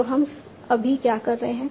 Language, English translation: Hindi, So right now what we are doing